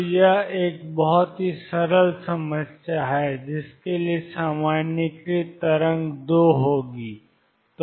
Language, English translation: Hindi, So, this is a very simple problem to start with the wave out generalized this would be 2